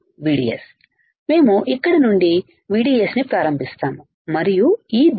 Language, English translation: Telugu, VDS we start from here VDS and in direction like this